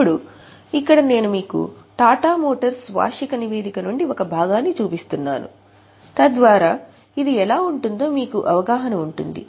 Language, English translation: Telugu, Now, here I am showing you extracts from Tata Motors annual report so that you will actually have a feel of how it looks like